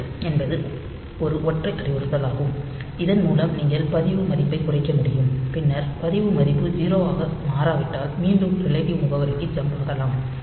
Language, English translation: Tamil, So, this DJNZ is a single instruction by which you can decrement the register value and then if the register value does not become 0, so you can jump back to the relative address